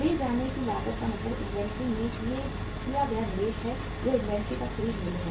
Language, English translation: Hindi, carrying cost means the investment made in the inventory that is the purchase price of the inventory